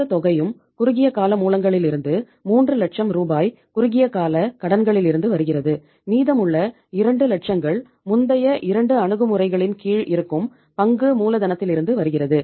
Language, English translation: Tamil, Entire amount is coming from the short term sources that is 3 lakh rupees from the short term borrowings and remaining uh 2 lakhs is coming as a share capital as it was coming under the previous 2 approaches